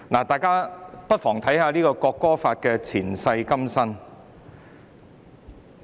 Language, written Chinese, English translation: Cantonese, 大家不妨看看《國歌條例草案》的"前世今生"。, Let us take a look at the past and present lives of the National Anthem Bill the Bill